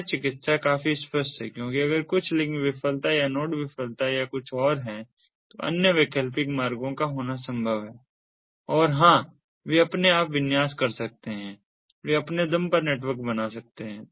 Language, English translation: Hindi, self healing is quite obvious because if there is some link failure or node failure or something, it is possible to have other alternative routes and, ah yes, they can configure on their own, they can form the network on their own